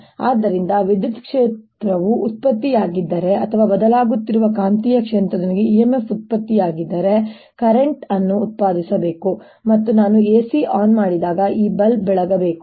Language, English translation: Kannada, so if there is an electric field produce or there is an e m f produced due to changing magnetic field, it should produce a current here and this bulb should light up when i turn the a c on